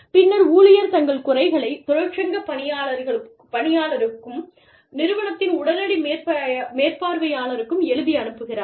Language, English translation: Tamil, And, then the employee, gives the grievance in writing, to the union steward and immediate supervisor, in the organization